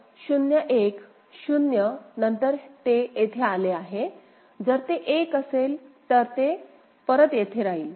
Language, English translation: Marathi, So, 0 1; after 0 it has got here, if it is 1 then it will stay back here